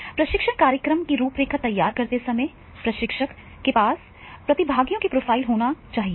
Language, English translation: Hindi, Trainer when designing a training program, he should have the profiles of the participants